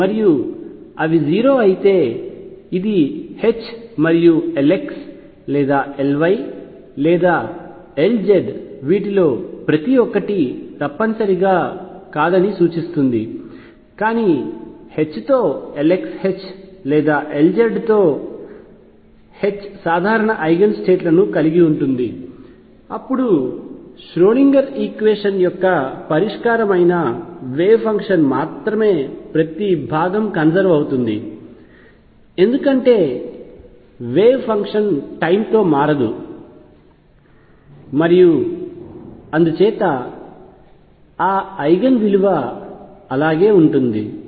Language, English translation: Telugu, And if they are 0 this also implies that H and L x or L y or L z not necessarily each one of these, but H with L x H with L y or H with L z can have common eigen states then only the wave function that is a solution of the Schrodinger equation would have the each component being conserved, because the wave function does not change with time and therefore, that eigen value remains the same